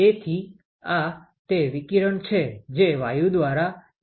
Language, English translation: Gujarati, So, this is the radiation absorbed by the gas in dx